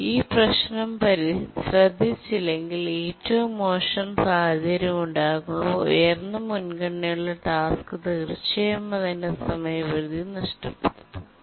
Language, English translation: Malayalam, If the problem is not taken care, then in the worst case, when the worst case situation arises, definitely the high priority task would miss its deadline